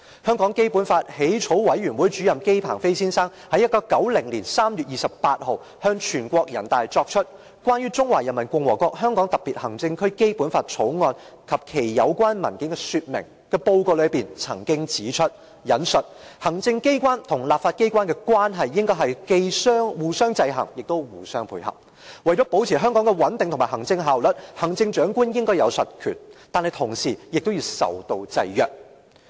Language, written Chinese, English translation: Cantonese, 香港基本法起草委員會主任委員姬鵬飛先生於1990年3月28日向全國人大作出"關於《中華人民共和國香港特別行政區基本法》及其有關文件的說明"的報告曾經指出："行政機關和立法機關之間的關係應該是既互相制衡又互相配合；為了保持香港的穩定和行政效率，行政長官應有實權，但同時也要受到制約。, Addressing the National Peoples Congress on 28 March 1990 Mr JI Pengfei Chairman of the Basic Law Drafting Committee mentioned in the Explanations on The Basic Law of the Hong Kong Special Administrative Region of the Peoples Republic of China Draft and Its Related Documents that I quote [t]he executive authorities and the legislature should regulate each other as well as co - ordinate their activities . To maintain Hong Kongs stability and administrative efficiency the Chief Executive must have real power which at the same time should be subject to some restrictions